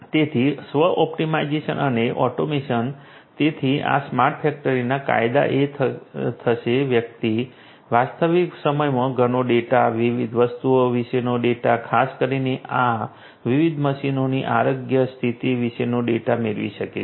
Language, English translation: Gujarati, So, self optimization and automation so, benefits of this smart factories are going to be that one can you know in real time get lot of data, data about different things particularly the data about the health condition of this different machines